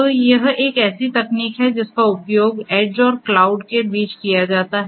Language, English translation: Hindi, So, that is a technology that is used between the edge and the cloud